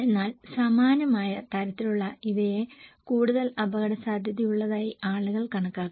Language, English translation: Malayalam, But similar kind of and these are considered to be more risky by the people